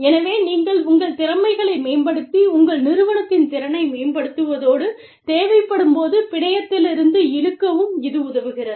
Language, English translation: Tamil, So, you enhance your skills, you enhance the capability of your firm, and pull in from the network, as and when required